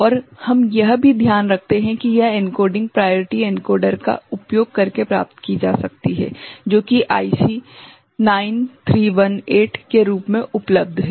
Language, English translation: Hindi, And also we take note of that this encoding can be achieved by using priority encoder which is available off the shelf as IC 9318 ok